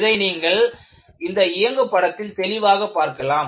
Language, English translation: Tamil, And, that is very clearly seen in the animation